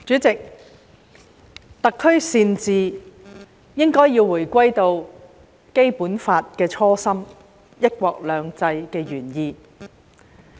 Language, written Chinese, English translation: Cantonese, 主席，特區善治應該要回歸《基本法》的初心、"一國兩制"的原意。, President one must return to the original intention of both the Basic Law and the one country two systems in order to properly administer the Hong Kong SAR